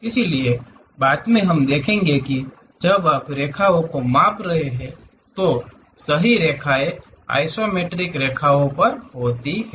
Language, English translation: Hindi, So, later we will see that, the true lines are perhaps on the isometric lines, when you are measuring the angles, when you are measuring the lines